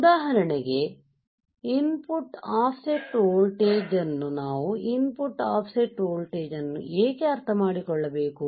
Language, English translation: Kannada, For example, input offset voltage why we need to understand input offset voltage